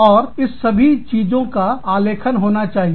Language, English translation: Hindi, And, all of this, has to be documented